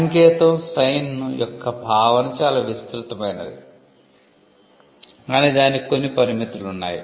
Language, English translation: Telugu, The concept of a sign is too broad, but it is not without limits